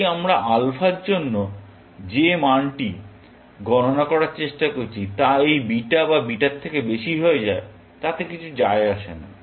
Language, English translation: Bengali, If the value that we are trying to compute for this alpha becomes higher than this beta or this beta, it does not matter